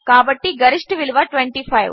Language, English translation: Telugu, So the maximum value is 25